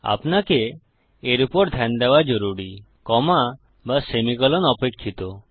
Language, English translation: Bengali, You really need to look for these expecting either a comma or a semicolon